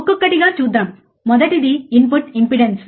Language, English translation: Telugu, Let us see one by one, the first one that is your input impedance